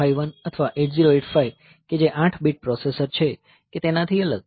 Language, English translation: Gujarati, Unlike say 8051 or 8085 which are 8 bit processors